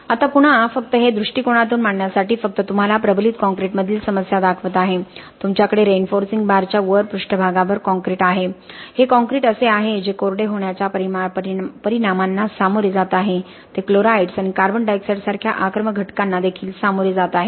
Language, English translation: Marathi, Now again just to put this in perspective just showing you the problem in reinforced concrete you have the surface concrete on top of the reinforcing bar, this concrete is the one which is facing the effects of drying, it is also facing the effects of ingress of aggressive agents like chlorides and carbon di oxide okay, whereas you have concrete in the interior which is relatively free from all these problems